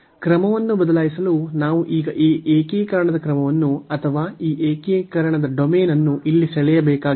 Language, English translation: Kannada, So, for changing the order we have to now draw this order of integration or the domain of this integration here